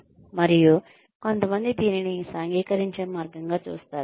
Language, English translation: Telugu, And, some people see it as a way to socialize